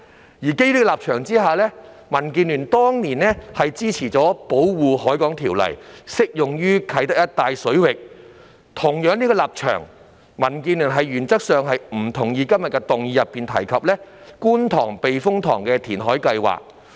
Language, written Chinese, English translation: Cantonese, 基於這個立場，民建聯當年支持《條例》適用於啟德一帶水域；基於相同的立場，民建聯原則上不同意今天議案內提及的觀塘避風塘填海計劃。, Based on this position DAB back then supported the application of the Ordinance to the waters around Kai Tak; and based on the same position DAB in principle disagrees in principle with the KTTS reclamation project mentioned in todays motion